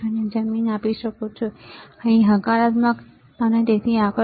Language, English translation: Gujarati, You can give the ground here, positive here and so forth